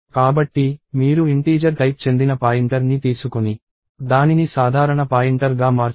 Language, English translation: Telugu, So, you can take a pointer which is of integer type and make it a generic pointer